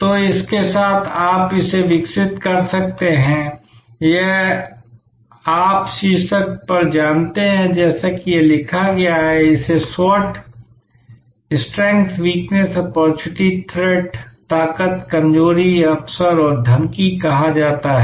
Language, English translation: Hindi, So, with that you can develop this, this is you know on top as is it written, it is called SWOT Strength Weakness Opportunity Threat